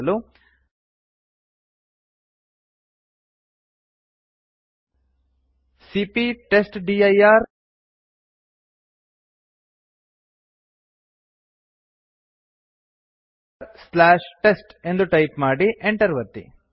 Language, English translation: Kannada, For that we would type cp testdir/ test and press enter